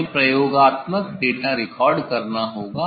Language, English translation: Hindi, we have to record experimental data, experimental data recording